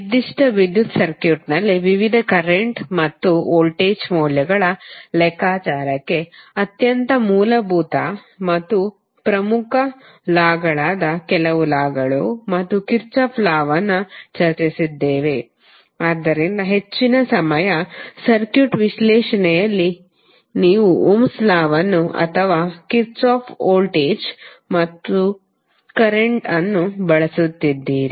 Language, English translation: Kannada, Thereafter we discuss some law and Kirchhoff law which are the very basic and very important laws for the calculation of various current and voltage values in a given electrical circuit, so most of the time you would be using either ohms law or the Kirchhoff voltage or current law in your circuit analysis